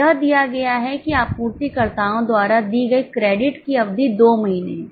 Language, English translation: Hindi, It is given that period of credit allowed by suppliers is two months